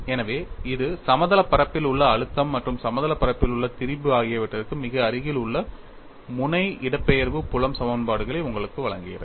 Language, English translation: Tamil, So, this gives you very near tip displacement field equations for the case of planes stress as well as plane strain